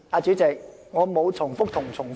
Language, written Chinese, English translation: Cantonese, 主席，我沒有重複又重複。, President I have not repeated my arguments over and over again